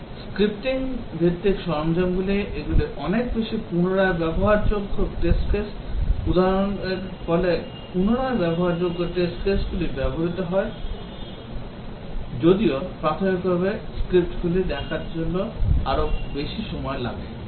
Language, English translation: Bengali, The scripting based tools these are much more reusable test cases, the produce much more reusable test cases even though initially they take more time to write the scripts